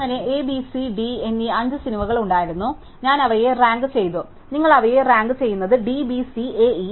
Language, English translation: Malayalam, So, there was 5 movies A, B, C, D, E and I rank them and you rank them is D, B, C, A, E